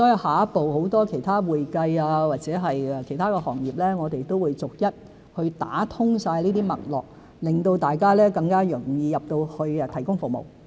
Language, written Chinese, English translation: Cantonese, 下一步，如會計或其他行業，我們也會逐一打通這些脈絡，令大家更容易進入大灣區提供服務。, Our next step is to gradually open up pathways for accounting and other industries so that people can gain access to GBA more easily to provide services